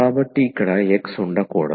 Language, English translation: Telugu, So, there should not be x here